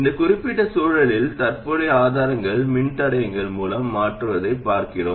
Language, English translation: Tamil, In this particular context we are looking at replacing current sources by resistors